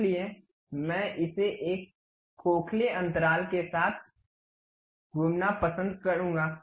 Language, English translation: Hindi, So, this one I would like to really revolve around that with a hollow gap